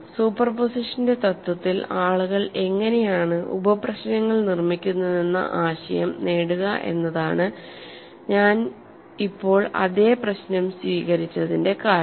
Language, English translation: Malayalam, The reason why I have taken the same problem is to get the idea of how people construct sub problems in principle of superposition